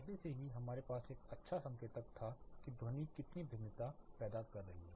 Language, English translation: Hindi, Already we had a good indicator of how much variation the sound itself is causing